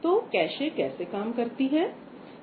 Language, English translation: Hindi, So, how does a cache work